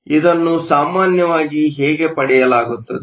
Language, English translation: Kannada, So, how this is usually obtained